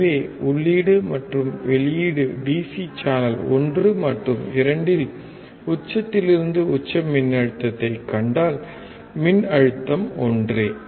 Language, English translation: Tamil, So, if you see the peak to peak voltage at the input and output DC channel 1 and 2, voltage is same